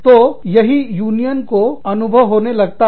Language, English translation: Hindi, So, that is what, unions seem to feel